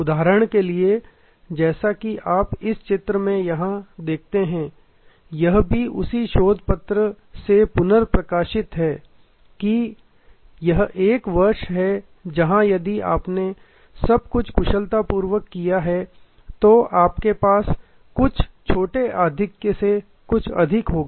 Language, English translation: Hindi, For example, as you can see here in this diagram, this is also reprinted from that same research paper that this is year one, where actually you just have, if you have done everything well then some small surplus